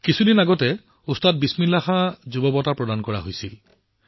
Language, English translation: Assamese, A few days ago, 'Ustad Bismillah Khan Yuva Puraskar' were conferred